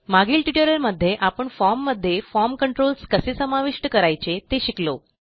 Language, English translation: Marathi, In the last tutorial, we learnt how to add form controls to a form